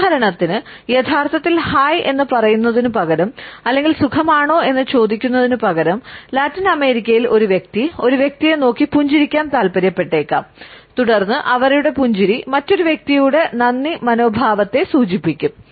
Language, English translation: Malayalam, For example, instead of actually saying hi, how are you, a person in Latin America perhaps would prefer to smile at a person and then their smile would suggest the thank you attitude, also by another person